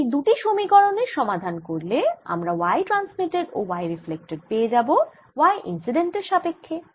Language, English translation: Bengali, i solve the two equations and i'll get results for y transmitted and y reflected in terms of y incident